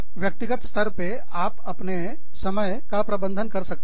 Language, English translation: Hindi, At the individual level, you could manage your time